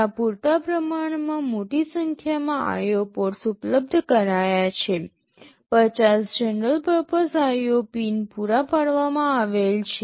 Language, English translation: Gujarati, There are fairly large number of IO ports that are provided, 50 general purpose IO pins are provided